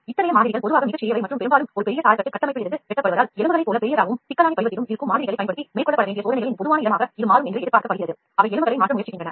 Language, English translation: Tamil, As such samples are usually quite small and often cut from a large scaffold structure , it is anticipated that it will become common place of for experiments to be carried out using samples that are as large and complex in shape as the bones, they are trying to replace the bones ok